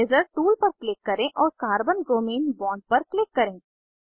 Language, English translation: Hindi, Click on Eraser tool and click on Carbon bromine bond